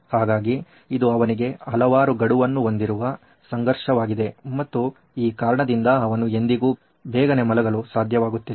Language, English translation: Kannada, So, this is actually the conflict that he has too many deadlines and that way he would never be able to actually go to bed early